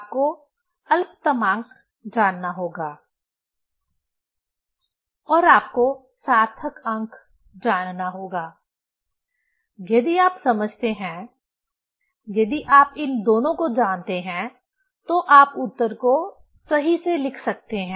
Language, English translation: Hindi, You have to know the least count and you have to know significant figure; if you understand, if you know these two then you can write the answer properly